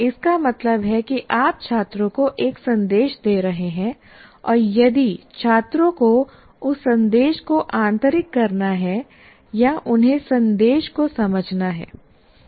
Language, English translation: Hindi, And when the communication takes place, that means you are giving a message to the student and if the student has to internalize that message, or he has to understand the message